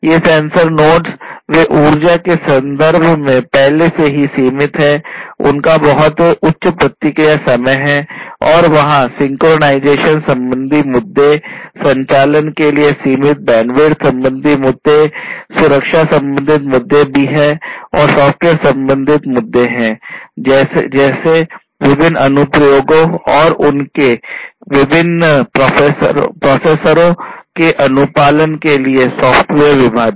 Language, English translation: Hindi, These sensor nodes, they themselves are already limited in terms of power, they have very high response time and there are synchronization issues, issues of limited bandwidth of operation, security issues are also there and there are different other software issues such as the issue of software partitioning for complying with different applications and their different processors in them